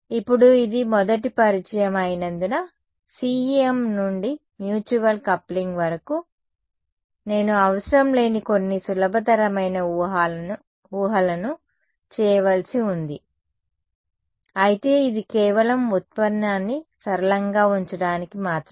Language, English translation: Telugu, Now, since this is the very first introduction of CEM to mutual coupling, I need to make some simplifying assumptions which is not required, but it is just to keep the derivation simple